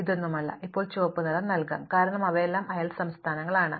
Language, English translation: Malayalam, None of these can now be colored red, because they are all neighboring states